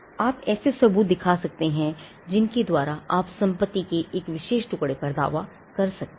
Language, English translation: Hindi, You could show evidences by which you can claim title to a particular piece of property